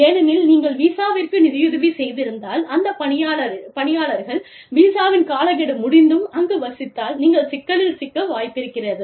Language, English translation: Tamil, Because, if you have sponsored the visa, and the person decides to overstay the visa, then you could get into trouble